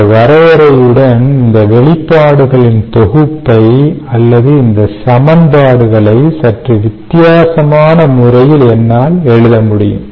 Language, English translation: Tamil, i can therefore write this set of expressions or these equations in a slightly different manner